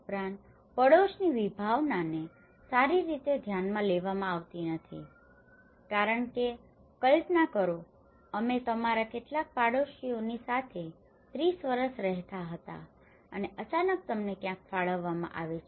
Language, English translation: Gujarati, Also, the neighbourhood concept is not well addressed because imagine 30 years we lived in a company of some of your neighbours and suddenly you are allocated somewhere